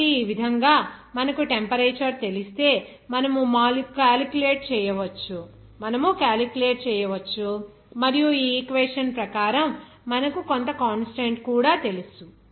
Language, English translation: Telugu, So, in this way, you can calculate if you know the temperature and also you know some constant as per this equation